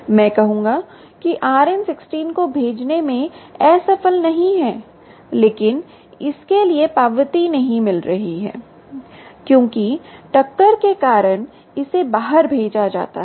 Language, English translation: Hindi, i would say: not unsuccessful in sending out an r n sixteen but not getting an acknowledgement back for its sent out r n sixteen because of collision, it can attempt here